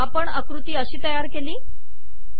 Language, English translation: Marathi, This is how we created this figure